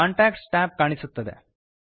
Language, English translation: Kannada, The Contacts tab appears